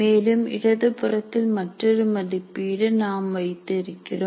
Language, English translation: Tamil, And then we have put another evaluate on the left side